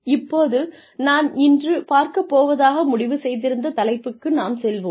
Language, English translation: Tamil, Now, let us move on to the topic, that I had decided for today